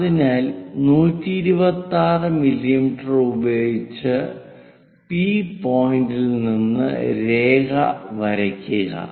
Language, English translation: Malayalam, So, draw a line at point P with 126 mm